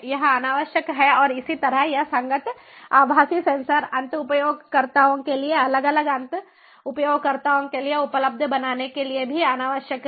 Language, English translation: Hindi, it is unnecessary, and similarly it is also unnecessary to make the corresponding virtual sensors available to the end users, to different end users